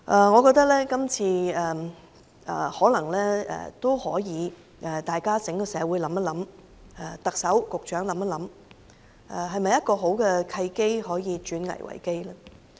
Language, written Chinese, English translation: Cantonese, 我認為今次整個社會也可以想一想，特首和局長也想一想，這是否一個好的契機，可以轉危為機呢？, I consider that the entire society can give it some thoughts this time whilst the Chief Executive and the Secretary should do some pondering as well . Is this not a great opportunity for us to turn a crisis into an opportunity?